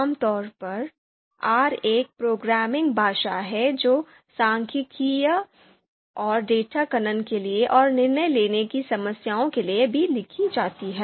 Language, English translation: Hindi, So, R is a programming language written for you know statistical and data mining and also for decision making you know problems